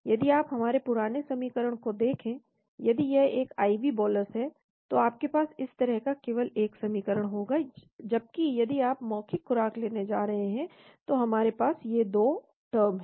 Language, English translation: Hindi, If you look at our old equation, if it is an IV bolus you are going to have only one equation like this, whereas if you are going to have oral dosage we are having these 2 terms